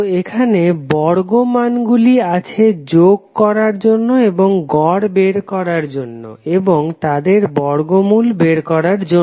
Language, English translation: Bengali, So here square value is there to sum up and take the mean and take the under root of the term